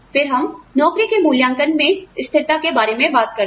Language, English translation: Hindi, Then, we talk about, consistency of job evaluation